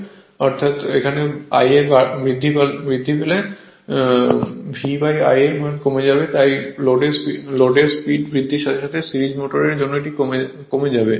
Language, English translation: Bengali, Because if I a increases, so V by I a will decrease right, therefore with the increase in load speed decreases for series motor